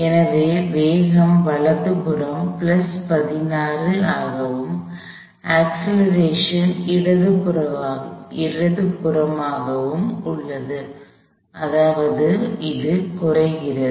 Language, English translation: Tamil, So, the velocity is plus 16 to the right, and the acceleration is to the left, which means it is going to be decelerating